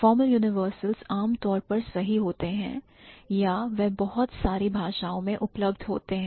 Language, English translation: Hindi, And formal universals generally they hold true or they are available for wide range of languages